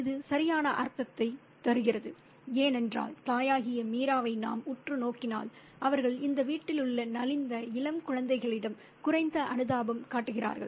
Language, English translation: Tamil, It does make perfect sense because if we look closely at Mira or the mother, they are slightly less sympathetic towards the downtrodden young children in this household